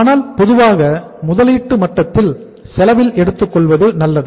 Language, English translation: Tamil, But normally it is better to take as the at the investment level at the cost